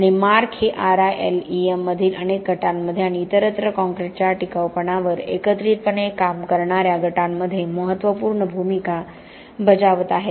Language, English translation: Marathi, And Mark has been instrumental in many groups within RILEM and elsewhere that work together on durability of concrete